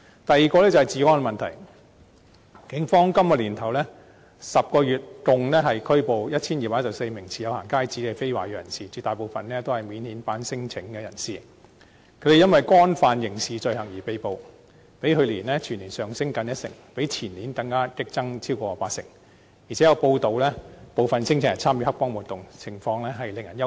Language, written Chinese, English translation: Cantonese, 第二個是治安問題，警方今年首10個月共拘捕 1,214 名持有"行街紙"的非華裔人士，絕大部分是免遣返聲請人士，他們因為干犯刑事罪行而被捕，較去年全年上升近一成，相比於前年更激增超過八成，而且有報道指部分聲請人參與黑幫活動，情況實在令人憂慮。, The second is the problem of security . In the first 10 months of this year the Police arrested a total of 1 214 non - ethnic Chinese persons holding going - out passes for committing criminal offences a great majority of whom were non - refoulement claimants . The figure represents respective rises of nearly 10 % and over 80 % when compared with the figures of last year and two years ago